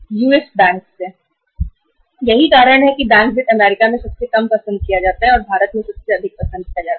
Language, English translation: Hindi, That is why the bank finance is the least preferred in US and is the most preferred in India